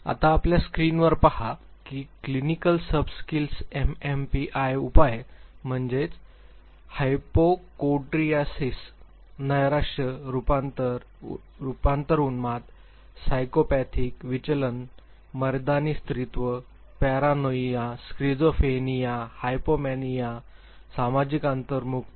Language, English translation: Marathi, Now look at your screen the clinical subscales that MMPI measures are hypochondriasis, depression, conversion hysteria, psychopathic deviates, masculinity femininity, paranoia, schizophrenia, hypomania, social introversion